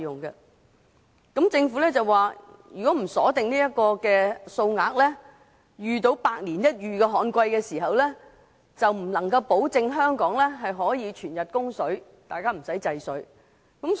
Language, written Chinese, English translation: Cantonese, 就此，政府回應指出，如不鎖定供水額，當遇上百年一遇的旱季時，就無法保證香港可以全日供水，屆時便要限制用水。, In this connection the Government has pointed out in response that it is necessary to fix the water supply quantity otherwise in the event of a once - in - a - century draught it will be impossible to ensure round - the - clock water supply to Hong Kong . By then restriction on water consumption will be necessary